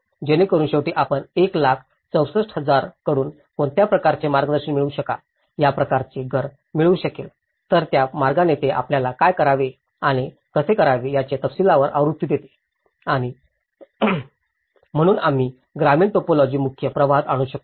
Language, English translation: Marathi, So that at the end you are able to come up with some kind of guidance from 1 lakh 64,000 one is able to get this kind of house, right so, in that way, this is giving you a detailed version of what to do and how we can bring these rural typologies into the mainstream practice